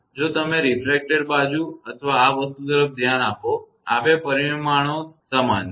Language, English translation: Gujarati, If you look into that refracted side and this thing; these two magnitudes are same